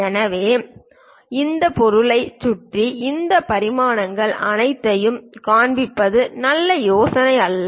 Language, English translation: Tamil, So, it is not a good idea to really show all these dimensions around that object